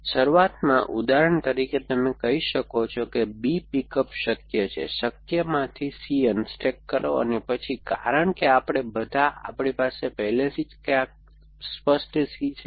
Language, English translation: Gujarati, So, initially for example you might say pick up B is possible, unstack C from a possible and then because we all, we already have clear C somewhere